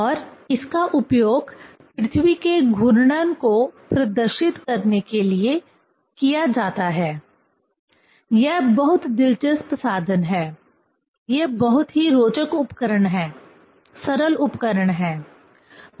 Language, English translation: Hindi, And it is used to demonstrate the earth rotation; this is very interesting instrument; these are the very interesting devices, simple devices